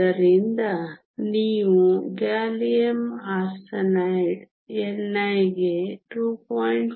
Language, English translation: Kannada, Gallium arsenide is even higher